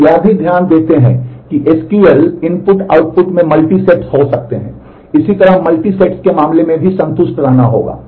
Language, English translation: Hindi, We also note that in SQL input output could be multisets so, the same thing has to be satisfied in terms of multisets